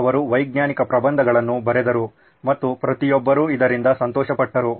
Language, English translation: Kannada, He wrote a bunch of scientific papers and everybody was happy with this